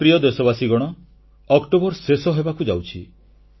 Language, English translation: Odia, My dear countrymen, October is about to end